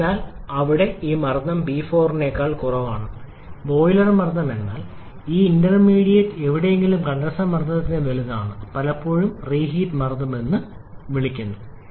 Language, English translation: Malayalam, So, here this pressure P 4 is less than the boiler pressure but it is greater than the condenser pressure somewhere intermediate which is often called the reheat pressure also